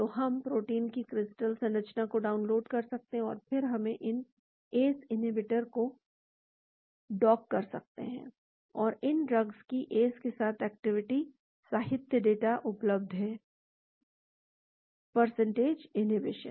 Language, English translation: Hindi, so we can download the crystal structure of the protein and then we can dock all these ACE inhibitors and there is literature data on the activity of these drugs towards the ACE, percentage inhibition